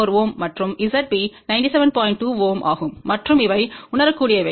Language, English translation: Tamil, 2 ohm and these are realizable ok